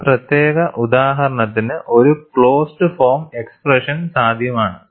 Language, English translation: Malayalam, For this specific example, a closed form expression is possible